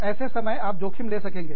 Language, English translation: Hindi, At that point, you will take risks